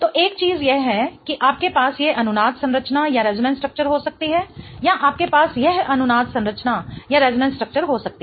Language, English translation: Hindi, So, one of the things is you can have this resonance structure or you can have this resonance structure